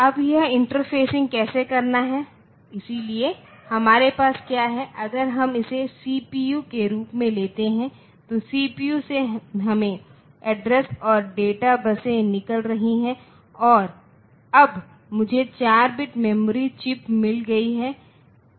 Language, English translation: Hindi, Now, how to do this interfacing, so what we have is if we take this as the CPU from the CPU we have got the address and data buses coming out, now I have got 4 bit memory chips